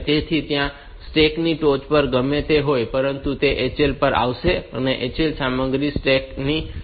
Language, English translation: Gujarati, So, top of the stack whatever it may contain, that will come to HL and HL content will go to the top of the stacks